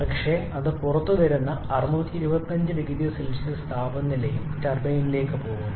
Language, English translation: Malayalam, But it comes out to the temperature of 625 0C and proceeds to the turbine